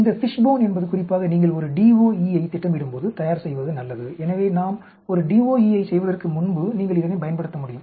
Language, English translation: Tamil, This Fishbone is a good idea to prepare especially when you are planning a DOE, so before we do a DOE you can use this